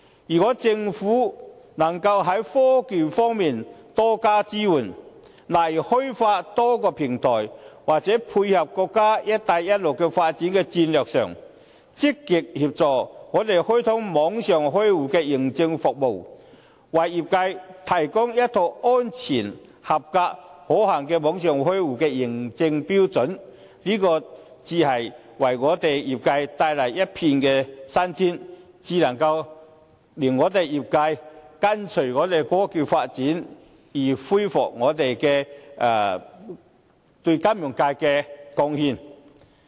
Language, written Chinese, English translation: Cantonese, 如果政府能夠在科技方面多加支援，例如開發多個平台，或在配合國家"一帶一路"的發展戰略上，積極協助我們開通網上開戶認證服務，為業界提供一套安全、合格和可行的網上開戶的認證標準，這才是為業界帶來一片新天，才可令業界跟隨香港科技發展而恢復對金融界的貢獻。, If the Government can offer more assistance in the technological aspect such as opening up a number of platforms or in aligning ourselves with the development strategy of our nations Belt and Road Initiative proactively assisting us in launching authentication service for online account opening so as to provide the sector with a set of safe acceptable and practicable authentication standards for online account opening this will bring the sector to a new chapter by enabling the sector to catch up with the technological development of Hong Kong and restore its contributions to the financial services industry